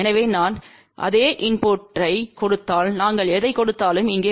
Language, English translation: Tamil, So, whatever we give if I give the same input it will come over here